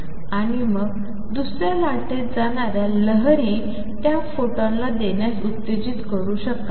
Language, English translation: Marathi, And then the wave going the other wave may stimulated to give out that photon